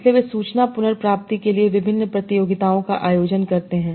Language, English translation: Hindi, So they organize various competitions for information travel